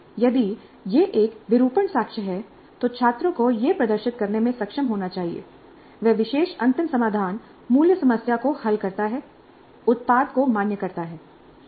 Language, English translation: Hindi, If it is an artifact, the students must be able to demonstrate that that particular final solution does solve the original problem, validate the product